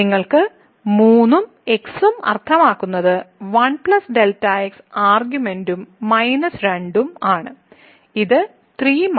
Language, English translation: Malayalam, So, you have the 3 and the argument and minus 2 and this is nothing but 3 and minus 2 1